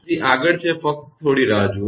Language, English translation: Gujarati, So, next is, just hold on